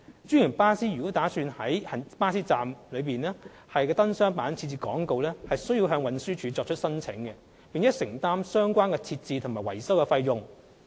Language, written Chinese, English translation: Cantonese, 專營巴士公司如擬在巴士站的燈箱板設置廣告，需向運輸署作出申請，並承擔相關設置及維修費用。, Franchised bus companies intending to place advertisements on light box panels are required to file an application with TD and bear the costs of the installation and maintenance services concerned